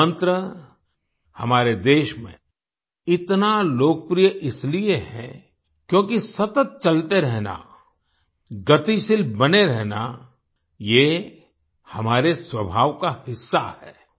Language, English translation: Hindi, This mantra is so popular in our country because it is part of our nature to keep moving, to be dynamic; to keep moving